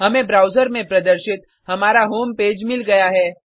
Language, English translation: Hindi, We have got our home page displayed in the browser